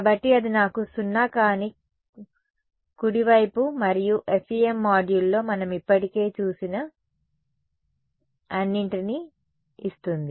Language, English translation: Telugu, So, that gives me my non zero right hand side and rest of all we have already seen in the FEM module